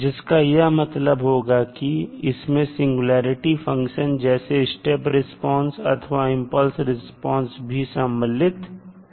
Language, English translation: Hindi, That means that the singularity functions like step response or impulse response are incorporated in this particular definition